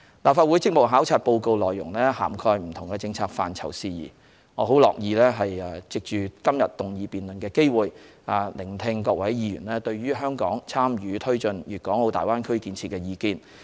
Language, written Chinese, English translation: Cantonese, 立法會職務考察報告內容涵蓋不同政策範疇事宜，我很樂意藉今天議案辯論的機會，聆聽各位議員對於香港參與推進大灣區建設的意見。, The Report on the Legislative Councils duty visit entails various policy areas and issues . I am glad to hear Honourable Members views on how Hong Kong can participate in taking forward the development of the Greater Bay Area in this motion debate today